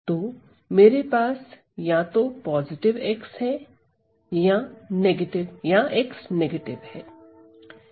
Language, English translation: Hindi, So, if my x is positive